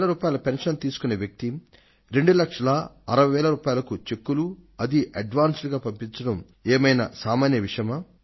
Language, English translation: Telugu, A man with a pension of sixteen thousand rupees sends me cheques worth two lakhs, sixty thousand in advance, is this a small thing